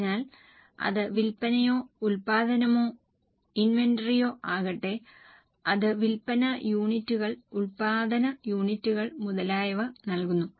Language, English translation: Malayalam, So, whether it is sales or production or inventories, it gives the units of sales, units of production, and so on